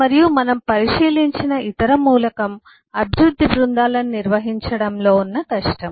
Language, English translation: Telugu, and the other element which we have looked into is the difficulty of managing development teams